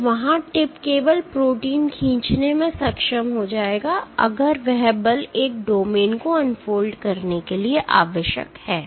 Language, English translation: Hindi, So, there is, the tip will be able to pull the protein only if that the force required to unfold a domain